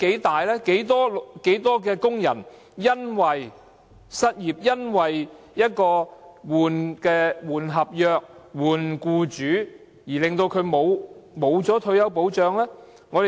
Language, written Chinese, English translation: Cantonese, 多少工人因為失業、更換合約或更換僱主而失去退休保障？, How many workers have lost retirement protection due to unemployment change of contracts or change of employers?